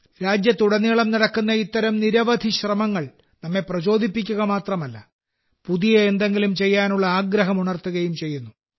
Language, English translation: Malayalam, Many such efforts taking place across the country not only inspire us but also ignite the will to do something new